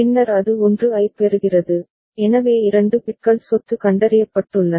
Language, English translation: Tamil, Then it is receiving a 1, so that means, 2 bits are property detected